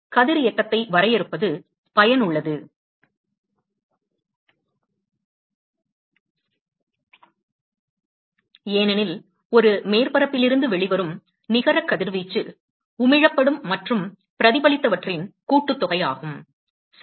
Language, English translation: Tamil, It is useful to define Radiosity, because the net radiation that comes out of a surface, is essentially sum of, what is Emitted plus what is Reflected right